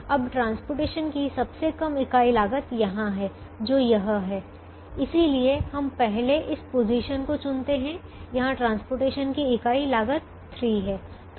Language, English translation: Hindi, now the least unit cost of transportation is here, which is this: so we first choose this position where the unit cost of transportation is three